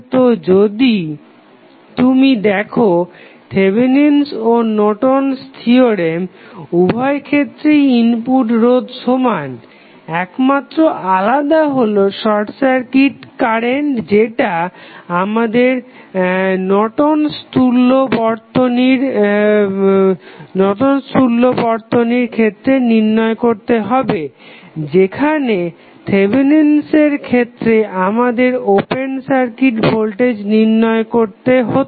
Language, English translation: Bengali, So, if you see Thevenin's and Norton's theorem, the input resistance is same in both of the cases the only change is the short circuit current which we need to find out in case of Norton's equivalent while in case of Thevenin's we need to find out the open circuit voltage